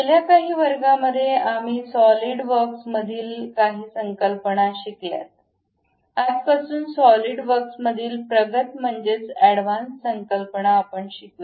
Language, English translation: Marathi, In last few classes, we learned some of the concepts in Solidworks; advanced concepts in solidworks from today onwards, we will learn it